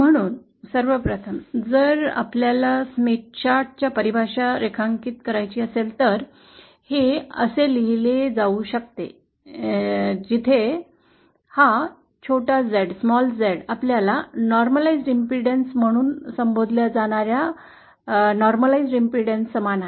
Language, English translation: Marathi, So if we want to draw 1st of all the definition of Smith chart is like this or this can also be written as this small Z where this small Z is equal to the normalised what you call as normalised impedance